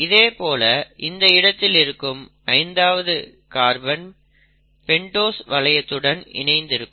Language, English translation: Tamil, Similarly in this case this will be the fifth carbon attached to the pentose ring